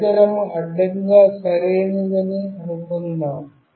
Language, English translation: Telugu, Suppose the device was horizontally right